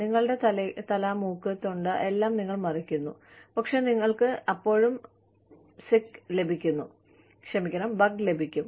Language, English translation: Malayalam, You cover your head, nose, throat, everything, and you still get the bug